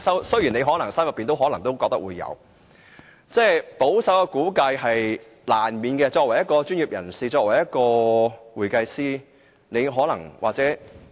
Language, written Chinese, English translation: Cantonese, 雖然這可能是他心中所想，但保守估計是在所難免的，因為他是專業人士，是會計師。, Even though this may be the figure in his mind a conservative projection is inevitable because he is a professional an accountant